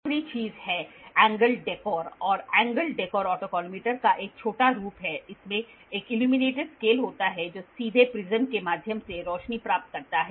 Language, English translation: Hindi, The last thing is an angle dekkor and angle dekkor is a small variation of an autocollimator it has an illuminated scale which receives lights directly through a prism